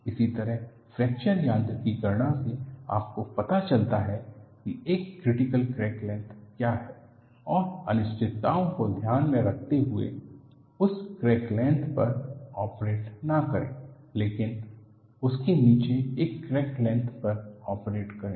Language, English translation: Hindi, Similarly, by a fracture mechanics calculation you find out what is a critical crack length, and in order to take care of uncertainties, do not operate that crack length, but operate at a crack length below that